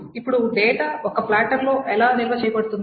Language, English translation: Telugu, Now how is data stored in a platter